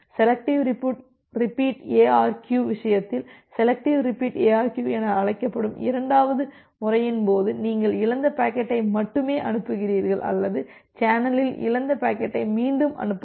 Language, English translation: Tamil, In case of the second methodology which is called as the selective repeat ARQ in case of selective repeat ARQ, you only send the lost packet or you selectively transmit retransmit the packet which has been lost in the channel